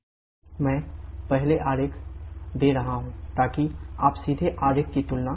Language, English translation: Hindi, I am giving the diagram first so that you can directly compare the diagram